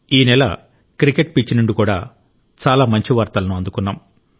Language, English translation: Telugu, This month, there has been very good news from the cricket pitch too